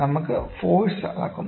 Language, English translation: Malayalam, So, we measure the forces